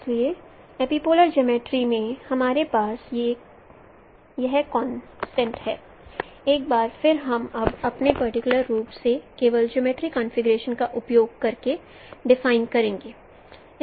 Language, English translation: Hindi, So in an epipolar geometry we have these concepts once again we will be now defining them in particular using their geometry configurations only